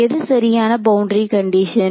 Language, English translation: Tamil, What is the correct boundary condition